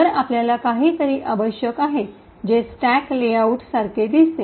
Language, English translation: Marathi, So, what we need essentially is the stack layout which looks something like this